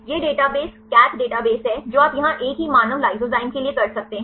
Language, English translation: Hindi, This is the database CATH database you can here for the same human lysozyme